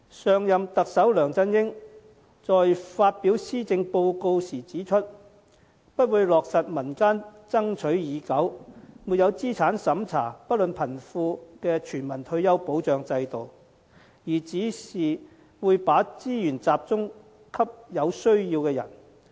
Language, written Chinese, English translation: Cantonese, 上任特首梁振英在發表施政報告時指出不會落實民間爭取已久、沒有資產審查、不論貧富的全民退休保障制度，而只會把資源集中給有需要的人。, As pointed out by former Chief Executive LEUNG Chun - ying when he delivered his policy address instead of implementing a universal non - means - tested retirement protection system equally applicable to all the elderly regardless of them being rich or poor which had long been demanded for by the community the Government would only direct resources to those in need